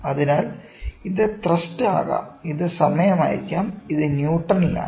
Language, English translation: Malayalam, So, this may be thrust and this may be time, ok, this is Newton